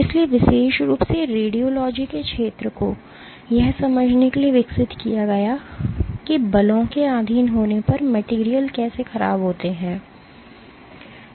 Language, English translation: Hindi, So, the field of radiology in particular has been developed to understand probing how materials deform when subjected to forces